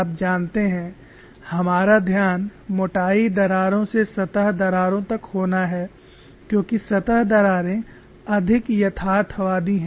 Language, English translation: Hindi, Our focus is to graduate through the thickness cracks to surface cracks as surface cracks are more realistic